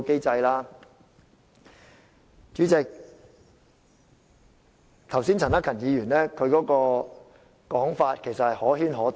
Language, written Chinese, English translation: Cantonese, 主席，陳克勤議員剛才的說法可圈可點。, President the earlier remark made by Mr CHAN Hak - kan can be interpreted in different ways